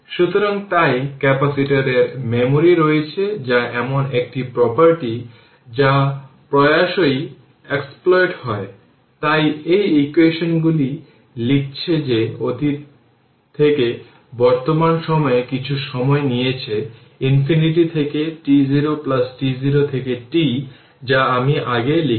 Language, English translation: Bengali, So, hence the capacitor say we can say has memory that is a property that is often exploited right, so that is why these equation we are writing that from the past we have taken at some time at present t so minus infinity to t 0 plus t 0 to t that what I wrote previously